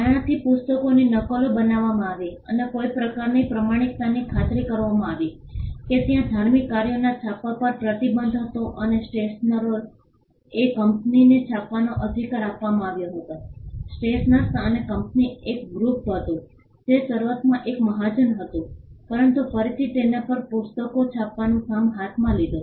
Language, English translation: Gujarati, This led to copies of books being created and to ensure some kind of authenticity there was a ban on printing religious works and the right to print was given to the stationers company and stationers company was a group it was initially a guild, but later on it took up the job of printing books